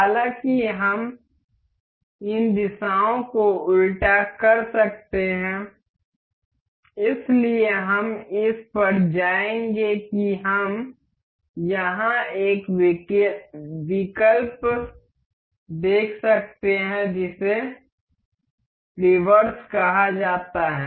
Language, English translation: Hindi, However, we can reverse these directions so, we will go to at we have we can see here an option called reverse